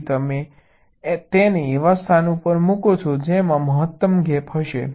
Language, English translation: Gujarati, so you put it in a location which will have the maximum gap